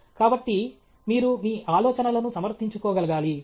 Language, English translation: Telugu, So, you should be able to defend your ideas